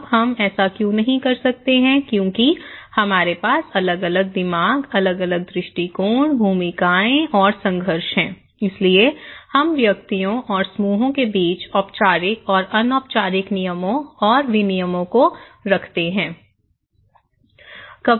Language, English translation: Hindi, Now, why we cannot do it because we have different mind, different perspective, overlapping roles and conflicts we have, we possess okay and so, we put rules and regulations upon interactions between individuals or between groups, formal and informal rules and regulations